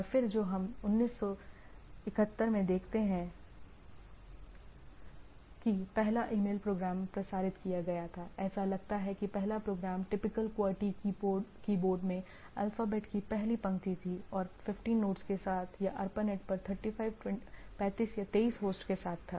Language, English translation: Hindi, And then what we see in 71 that first email program was transmitted, it seems that the first program was the first row of the alphabet in the typical QWERTY keyboard and with 15 nodes or with 35, 23 hosts on ARPANET